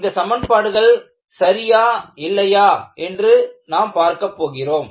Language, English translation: Tamil, And, we need to verify whether those equations are correct